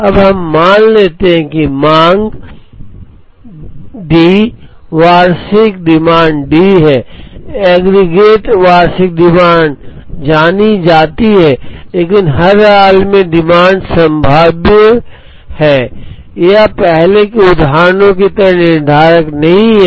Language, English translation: Hindi, Now, we are going to assume that the demand D, annual demand is D the aggregate annual demand is known but, at every instance the demand is probabilistic; it is not deterministic as in the earlier examples